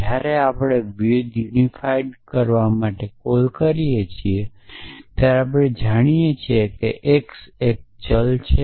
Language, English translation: Gujarati, So, when we make a call to var unify we know that x is a variable